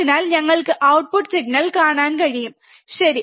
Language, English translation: Malayalam, So, that we can see the output signal, alright